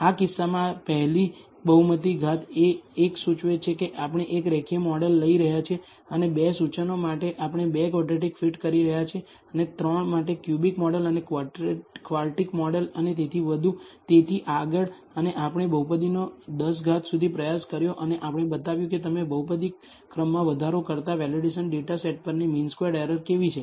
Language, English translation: Gujarati, In this case, the first polynomial degree is 1 implies we are taking a linear model and for 2 implies we are 2 fitting a quadratic model, for 3 implies a cubic model and a quartic model and so on, so forth and we have tried polynomial up to degree 10 and we have shown how the mean squared error on the validation data set is as you increase the polynomial order